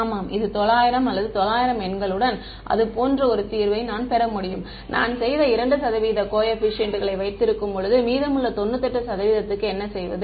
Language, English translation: Tamil, Yeah, it 900 or something like that with 900 numbers I can get a solution that is so good right, and what when I keep 2 percent coefficients what I have done to the remaining 98 percent